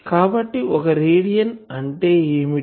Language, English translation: Telugu, So, what is one radian